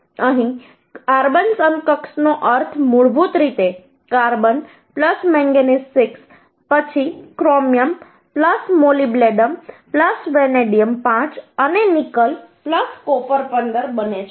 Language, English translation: Gujarati, carbon equivalent means basically the carbon plus manganese by 6, then chromium plus molybdenum plus vanadium by 5 and nickel plus copper by 15